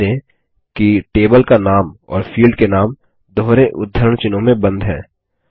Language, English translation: Hindi, Notice that the table name and field names are enclosed in double quotes